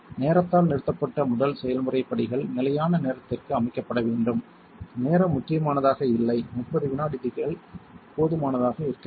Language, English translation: Tamil, The first process steps terminated by time should be set to fixed time the time is not critical for 30 seconds should be sufficient